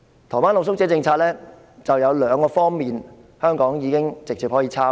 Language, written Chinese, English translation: Cantonese, 台灣的露宿者政策有兩方面，香港可以直接複製。, There are two areas in their policy that Hong Kong can directly copy